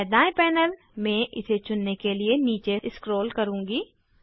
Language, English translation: Hindi, I will scroll down in the right panel to select it